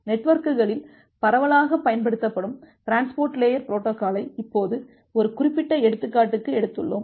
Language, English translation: Tamil, Now we will take a specific example a transport layer protocol which is widely used in the networks